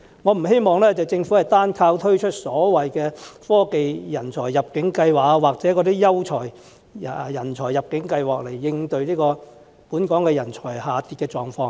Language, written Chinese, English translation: Cantonese, 我不希望政府單靠推出科技人才入境計劃或優秀人才入境計劃來應對本港人才下跌的狀況。, I hope that the Government will not rely on the Technology Talent Admission Scheme or the Quality Migrant Admission Scheme alone to address the drop in local talents